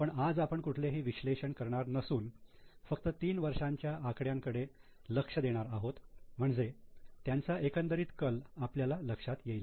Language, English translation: Marathi, But as of today we will not go into analysis but just keep on looking at figures for three years so that you can understand the trend